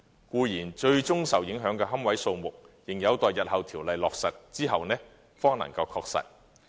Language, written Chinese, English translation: Cantonese, 固然，最終受影響的龕位數目，仍有待日後條例落實後方能確實。, Certainly the ultimate number of niches to be affected can only be ascertained following the implementation of the legislation in the future